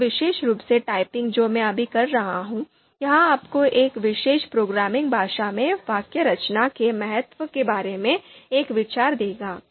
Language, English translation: Hindi, So this particular example that this particular you know typing that I am doing right now, this will also give you an idea about the importance of syntax in a particular programming language